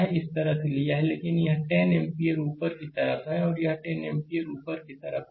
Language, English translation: Hindi, So, we have taken like this, but this 10 ampere it is your upwards this 10 ampere is upward